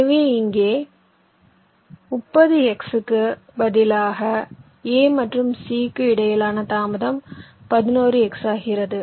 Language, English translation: Tamil, so instead of thirty x here, the delay between a and c becomes eleven x